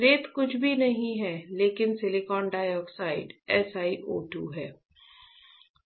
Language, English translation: Hindi, Sand is nothing, but silicon dioxide SiO 2, right